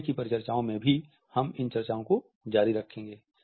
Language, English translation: Hindi, In our further discussions we would continue with these discussions